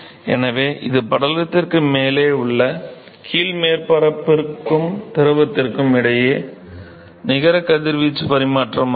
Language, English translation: Tamil, So, this is the net radiation exchange between the bottom surface and the fluid which is actually present above the film